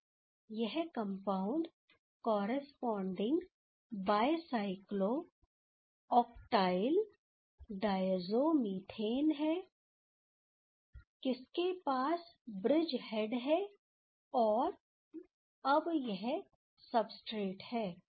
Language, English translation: Hindi, So, this is a corresponding bicyclo octile diazo methane type of compound ok, this is having the bridge head, and now this is the substrate